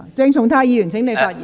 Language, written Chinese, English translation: Cantonese, 鄭松泰議員，請發言。, Dr CHENG Chung - tai please speak